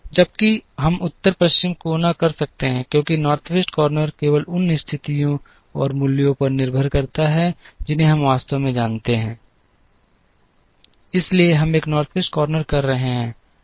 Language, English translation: Hindi, Whereas, we can do the North West corner, because North West corner depends only on the positions and the values that we actually know, so we are fine doing a North West corner